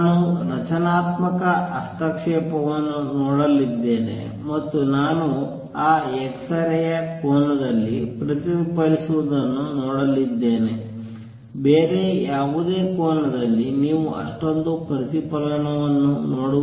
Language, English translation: Kannada, I am going to see a constructive interference and I am going to see x ray is reflected at that angle, at any other angel you will not see that much of reflection